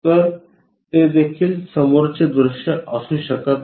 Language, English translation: Marathi, So, that can also not be a front view